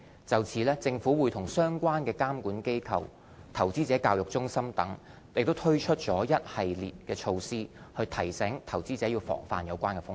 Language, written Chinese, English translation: Cantonese, 就此政府和相關監管機構、投資者教育中心等已推出了一系列措施提醒投資者防範有關的風險。, The Government relevant regulators and the Investor Education Centre have rolled out a series of measure to remind investors of the associated risks